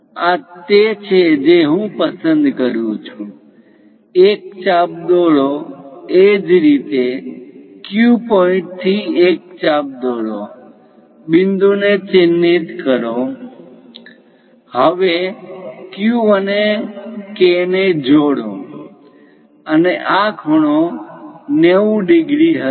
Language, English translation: Gujarati, Similarly, from Q, similarly, from Q point, draw an arc, mark the point; now, join Q and K, and this angle will be 90 degrees